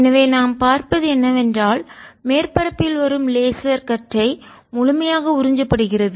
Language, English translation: Tamil, so what we are seeing is i have a surface on which the laser beam which is coming, let's, absorbed completely